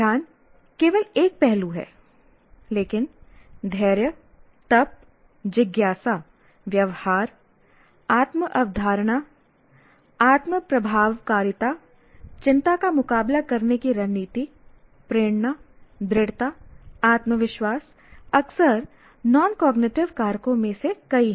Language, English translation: Hindi, Now that is attention is only one aspect but there are a whole lot of factors like grit, tenacity, curiosity, attitudes, self concept, self efficacy, anxiety coping strategies, motivation, perseverance, confidence are among the many of the frequently referred what we call non cognitive factors